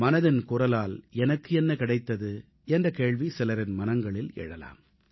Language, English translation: Tamil, At times a question arises in the minds of people's as to what I achieved through Mann Ki Baat